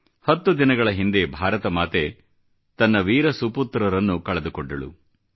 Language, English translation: Kannada, 10 days ago, Mother India had to bear the loss of many of her valiant sons